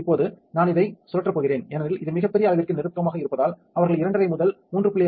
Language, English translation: Tamil, Now, I am going to spin this one since this is closer to the very larger size which they recommend between 2 and half and 3